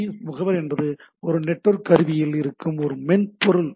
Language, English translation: Tamil, And SNMP agent is a software that runs on a piece of network equipment